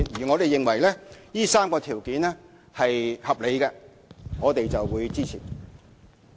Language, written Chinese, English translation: Cantonese, 我們認為，上述3項條件是合理的，我們會予以支持。, In our view the three criteria mentioned are reasonable and we will render it our support if they are fulfilled